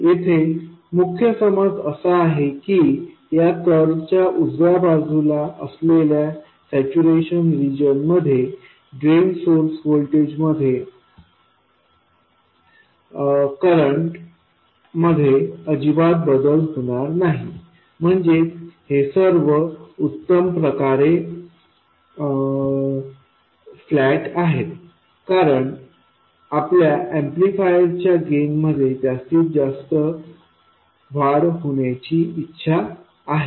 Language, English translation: Marathi, The key assumption here is that in the saturation region, that is to the right side of this curve, there is no variation of current at all with the drain source voltage, that is, all these curves are perfectly flat as we wanted for our amplifier to maximize the gain